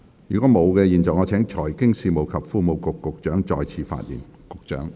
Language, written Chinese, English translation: Cantonese, 如果沒有，我現在請財經事務及庫務局局長再次發言。, If not I now call upon the Secretary for Financial Services and the Treasury to speak again